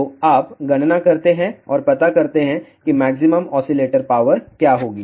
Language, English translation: Hindi, So, you do the calculation and find out what will be the maximum oscillator power